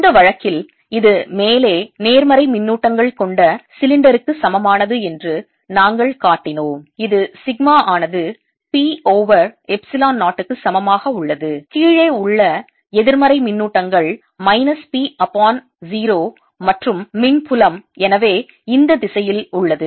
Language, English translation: Tamil, this way, in this case, we showed that this was equivalent to the cylinder with positive charges on top, which sigma equals p over epsilon, zero negative charges on the bottom, with charge being minus p upon zero, and the electric field therefore is in this direction